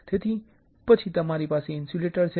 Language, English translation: Gujarati, So, then you have insulator